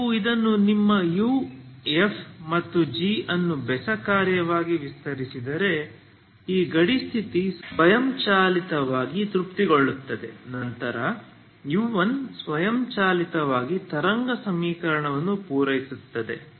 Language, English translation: Kannada, So you have if you extend this your U F and G as an odd function this boundary condition is automatically satisfied, then U1 is automatically satisfy the wave equation